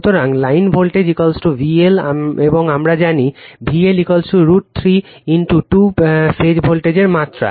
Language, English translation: Bengali, So line voltage is equal to V L and we know V L is equal to root 3 in to phase voltage right magnitude